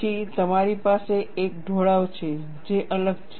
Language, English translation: Gujarati, Then, you have a slope which is different